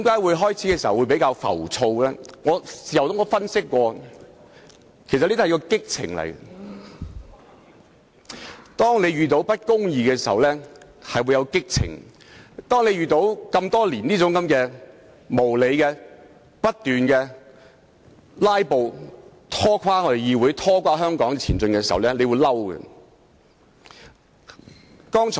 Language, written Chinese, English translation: Cantonese, 我在事後分析，認為這是一種激情，在遇到不公義時就會有激情，而多年來不斷面對無理的"拉布"，拖着議會和香港的後腿，就會感到憤怒。, In hindsight I would say this was a kind of passion a kind of passion that sparked in the face of injustice . Similarly my anger intensified after witnessing years of unreasonable filibustering which has held back both this Council and Hong Kong as a whole